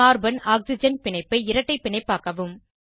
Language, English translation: Tamil, Convert Carbon Oxygen bond to a double bond